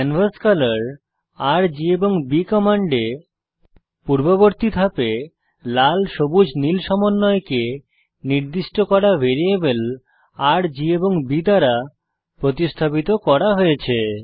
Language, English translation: Bengali, In the command canvascolor $R,$G, and $B , the Red Green Blue combination is replaced by the values assigned to the variables R, G, and B in the previous step